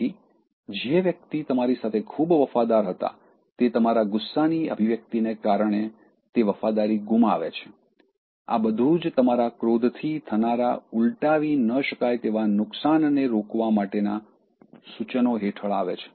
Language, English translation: Gujarati, So, a person who happened to be so loyal with you, loses that loyalty because of the way you express anger and so on, so all these are under the suggestion that I give under the irreversible damage your anger can cause